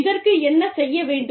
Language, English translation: Tamil, What should be done